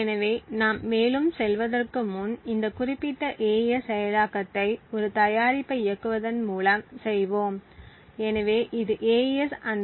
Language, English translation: Tamil, So, before we go further we would make this particular AES implementation by just running a make, so this would create an object file AES 1024